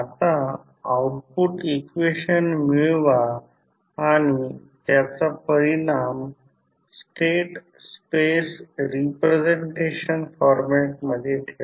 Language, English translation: Marathi, Now, obtain the output equation and the put the final result in state space representation format